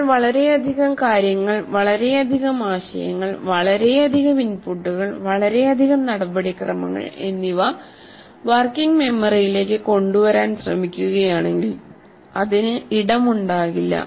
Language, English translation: Malayalam, If we are tried to bring too many things, too many concepts, too many inputs, and too many procedures to the working memory, it won't have space